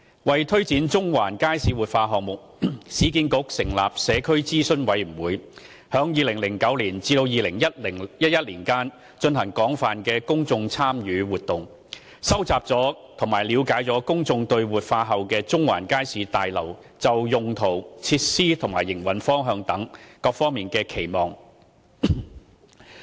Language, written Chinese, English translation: Cantonese, 為推展中環街市活化項目，市建局成立社區諮詢委員會，在2009年至2011年間進行廣泛的公眾參與活動，收集及了解公眾對活化後的中環街市大樓就用途、設施及營運方向等方面的期望。, To take forward the Central Market Revitalization Project the Community Advisory Committee established by URA conducted an extensive public engagement exercise between 2009 and 2011 to tap public views on the preferred uses facilities and operation approaches of the revitalized Central Market Building